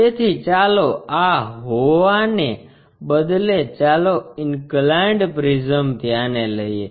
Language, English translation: Gujarati, So, instead of having this one let us have a inclined prism